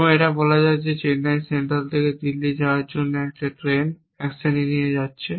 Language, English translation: Bengali, And that let us say that action is taking a train from Chennai central to Delhi